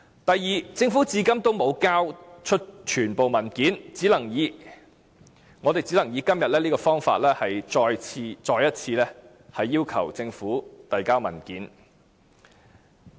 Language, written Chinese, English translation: Cantonese, 第二，政府至今沒有交出全部文件，我們只能以今天這方法，再次要求政府提交相關文件。, Second as the Government has yet to provide all the documents we can only use this method to once again request the Government to submit the relevant documents